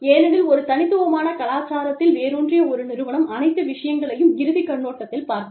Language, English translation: Tamil, Because, an organization rooted in an individualistic culture, will look at things, from the means to an end perspective